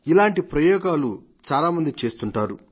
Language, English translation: Telugu, And such experiments are done by many people